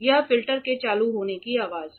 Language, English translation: Hindi, This is the sound of the filter switching on